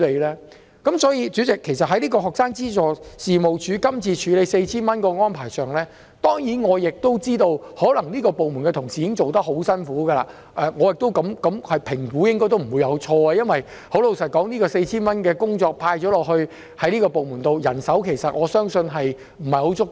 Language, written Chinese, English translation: Cantonese, 所以，代理主席，其實在在職家庭及學生資助事務處今次處理派發 4,000 元的安排上——當然我亦都知道，可能這個部門的同事已經做得很辛苦，而我的評估亦應該不會錯——老實說，這項派發 4,000 元的工作交給這個部門，我相信人手不太足夠。, Therefore Deputy Chairman on this arrangement of disbursing 4,000 implemented by the Working Family and Student Financial Assistance Agency this time―of course I also know that the officers in this department have worked very hard and I believe my assessment should be correct―frankly speaking I believe that in tasking this department with the exercise of disbursing 4,000 the manpower is not at all adequate